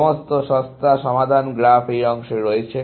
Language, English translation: Bengali, All the cheapest solutions are on this part of the graph